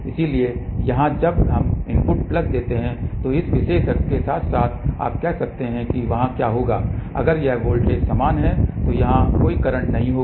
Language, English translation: Hindi, So, here when we give the input plus plus, so along this particular axis you can say that there will be if this voltage is same here there will be no current over here